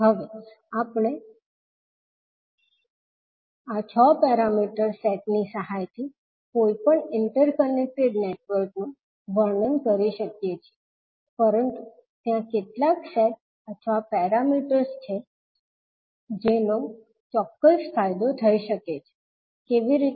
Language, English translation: Gujarati, Now, we can describe any interconnected network with the help of these 6 parameter sets, but there are certain sets or parameters which may have a definite advantage, how